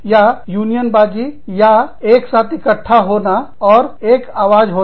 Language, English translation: Hindi, So or, unionizing, or collecting together, and having a common voice